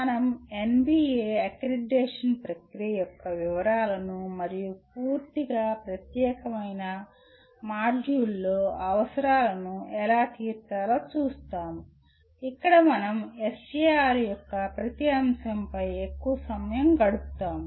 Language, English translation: Telugu, We will be looking at the details of NBA accreditation process and how to meet the requirements in a completely separate module where we spend lot more time on every aspect of SAR